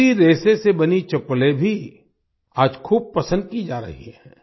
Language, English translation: Hindi, Chappals made of this fiber are also being liked a lot today